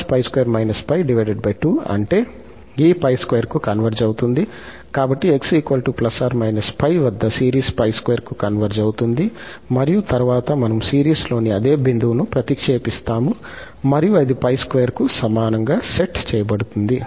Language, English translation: Telugu, So, we know that at x is equal to plus minus pi, the series converges to pi square and then we will substitute the same point in the series and that will be set equal to pi square